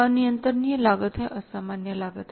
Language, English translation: Hindi, Uncontrollable costs are we say they are the abnormal cost